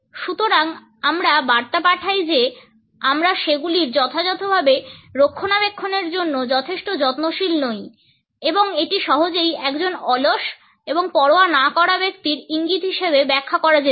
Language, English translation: Bengali, So, we send the message that we do not care about them enough to maintain them properly and this can be easily interpreted as an indication of a person who is lazy and cannot be bothered